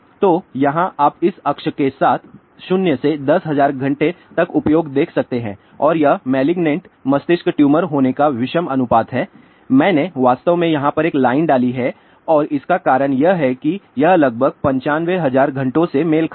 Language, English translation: Hindi, So, here you can see along this axis the usage from 0 to 10000 hour and this is the odd ratio of getting malignant brain tumor I have actually put a line somewhere over here and the reason for that is this corresponds to about 95000 hours